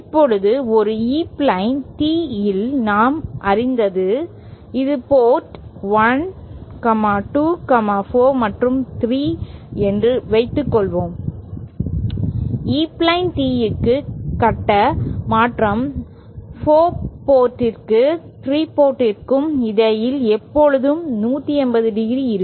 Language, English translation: Tamil, Now we knew that for an E plane tee, suppose this is port 1, 2, 4 and 3, we knew that for E plane tee the phase shift between the port for and port 3 will always be 180¡